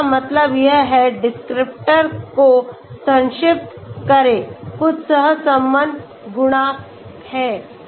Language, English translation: Hindi, So this is what it means, shortlist descriptors, there is some correlation coefficient